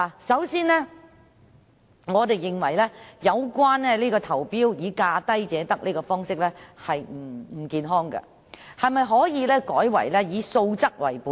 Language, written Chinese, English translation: Cantonese, 首先，我們認為價低者得的招標方式並不健康，可否改為以素質為本？, First of all we consider the tendering approach of awarding a contract to the lowest bid unhealthy